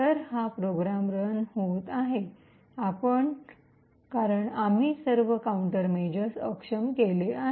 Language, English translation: Marathi, So, this particular program is running because we have disabled all the countermeasures